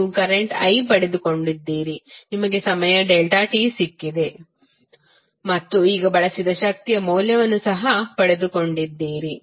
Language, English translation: Kannada, You have got current i you have got time delta t and now you have also got the value of energy which has been consumed